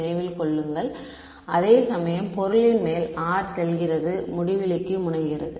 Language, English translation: Tamil, Remember r prime r is going over the object whereas the r prime is tending to infinity